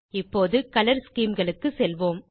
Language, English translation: Tamil, Now lets move on to Color schemes